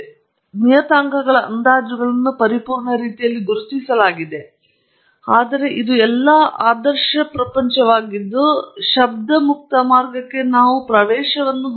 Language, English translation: Kannada, And also, the parameters estimates have been identified in a perfect manner and so on, but this is all a utopian world, we don’t have access to the noise free path